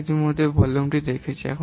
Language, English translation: Bengali, We have already seen simple volume